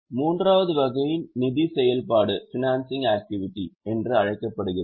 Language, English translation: Tamil, Now the third type of activity is known as financing activity